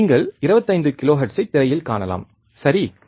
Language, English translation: Tamil, You can see in the screen 25 kilohertz, correct